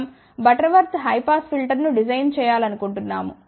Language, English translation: Telugu, Let us say we want to design a Butterworth high pass filter